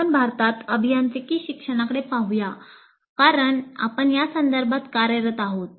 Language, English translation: Marathi, Now let us look at engineering education in India because we are operating in that context